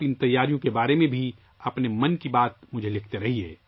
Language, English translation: Urdu, Do keep writing your 'Mann Ki Baat' to me about these preparations as well